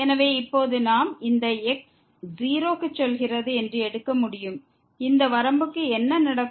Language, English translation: Tamil, So, now, we can take that goes to , what will happen to this limit